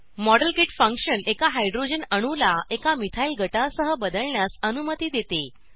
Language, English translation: Marathi, The Modelkit function allows us to substitute a Hydrogen atom with a Methyl group